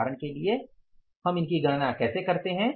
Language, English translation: Hindi, Now, for example, how do we calculate them